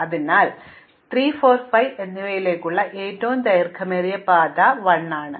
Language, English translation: Malayalam, So, the longest path to 3, 4 and 5 is at least 1